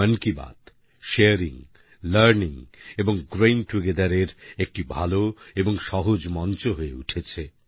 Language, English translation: Bengali, Mann Ki Baat has emerged as a fruitful, frank, effortless & organic platform for sharing, learning and growing together